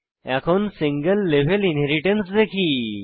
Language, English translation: Bengali, Let us see what is single level inheritance